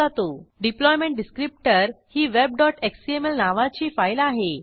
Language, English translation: Marathi, The deployment descriptor is a file named web.xml